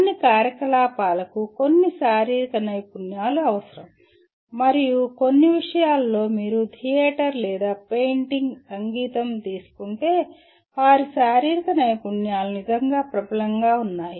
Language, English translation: Telugu, Certain activities will require some physical skills and in some subjects if you take theater or painting, music; their physical skills really are dominant